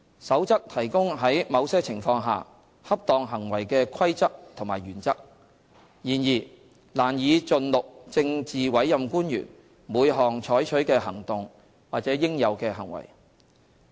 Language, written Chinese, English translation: Cantonese, 《守則》提供在某些情況下恰當行為的規則和原則，然而，難以盡錄政治委任官員每項採取的行動或應有的行為。, While the Code provides rules and principles for appropriate conduct under certain circumstances it is difficult for the Code to specify every type of act or behaviour expected of PAOs